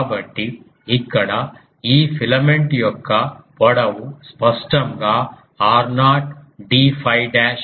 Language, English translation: Telugu, So, here the length of this filament is clearly r naught d phi dash